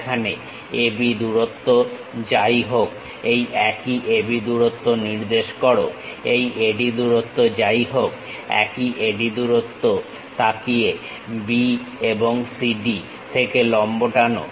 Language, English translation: Bengali, Whatever the AB length is there, locate the same AB length whatever the AD length look at the same AD length drop perpendiculars from B and CD